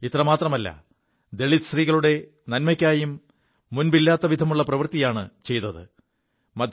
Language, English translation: Malayalam, Not only this, she has done unprecedented work for the welfare of Dalit women too